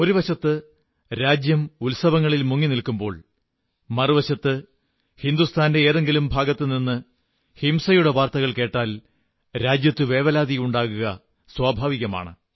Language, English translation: Malayalam, When on the one hand, a sense of festivity pervades the land, and on the other, news of violence comes in, from one part of the country, it is only natural of be concerned